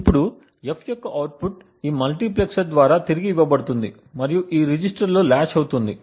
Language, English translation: Telugu, Now the output of F is fed back through this multiplexer and gets latched in this register